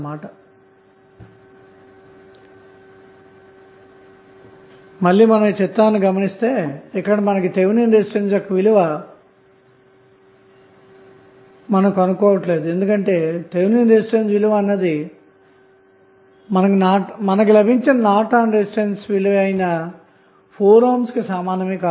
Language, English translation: Telugu, So, now if you see the figure again we are not going to find out the value of Thevenin resistance because we know that Thevenin resistance is equal to Norton's resistance and which we obtained as 4 ohm